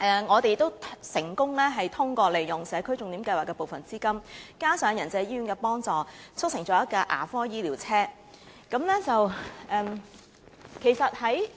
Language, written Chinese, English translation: Cantonese, 我們亦成功通過利用社區重點項目的部分資金，加上仁濟醫院的幫助，促成推出一輛"牙科醫療車"。, We also succeeded in launching a mobile dental clinic by using part of the funding for the signature project with the assistance of Yan Chai Hospital